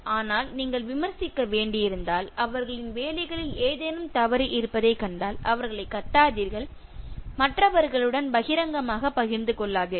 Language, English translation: Tamil, But, if you have to criticize and you found some fault in their jobs, do not shout at them, share it with others in public